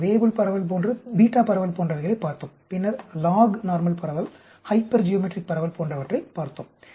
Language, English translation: Tamil, When the Poisson we looked at things like Weibull distribution, like the beta distribution, then lognormal distribution, hypergeometric distribution